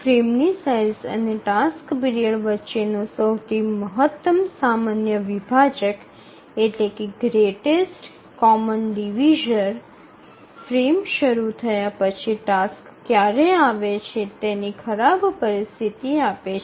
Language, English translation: Gujarati, So the greatest common divisor between the frame size and the task period that gives the worst case situation of how much after the frame starts can a task arrive